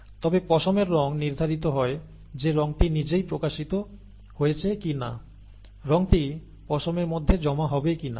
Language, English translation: Bengali, But, the colour of fur is determined whether the colour itself is expressed or not, okay, whether the colour will be deposited in the fur or not